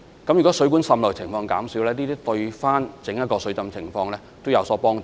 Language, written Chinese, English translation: Cantonese, 如果水管滲漏的情況減少，對於防止水浸也有所幫助。, A reduction in the leakage of water pipes will also be helpful to flood prevention overall